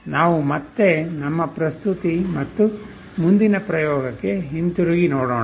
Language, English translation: Kannada, Let us again come back to our presentation and the next experiment